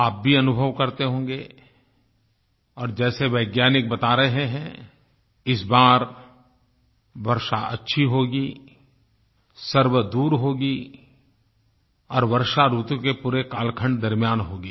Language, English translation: Hindi, Going by the predictions of the scientists, this time there should be good rainfall, far and wide and throughout the rainy season